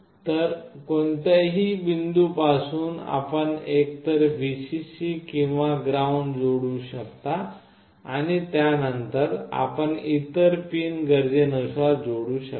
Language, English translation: Marathi, So, from any point you can put either Vcc or ground, and then you can use and connect with other pins as required